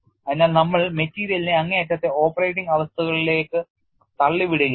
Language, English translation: Malayalam, So, we are pushing the material also to the extreme operating conditions